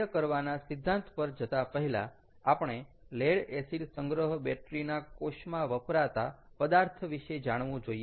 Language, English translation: Gujarati, before going through the working principle, we should know about materials used for lead acid storage battery cells